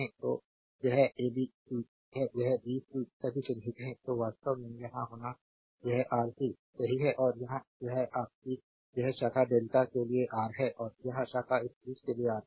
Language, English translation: Hindi, So, it is ab c or a b c all are marked; so, a to be actually here it is R c right and here it is your this branch is Ra for delta and this branch is Rb for this thing right